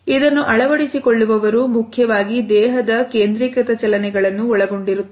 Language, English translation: Kannada, Adopters principally comprise body focused movements